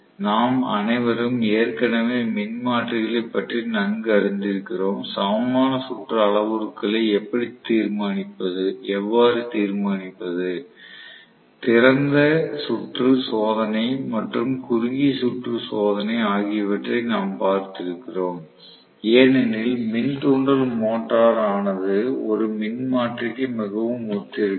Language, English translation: Tamil, We all are already familiar with transformer, how to determine the equivalent circuit parameters, we had seen open circuit test and short circuit test, as induction motor is very similar to a transformer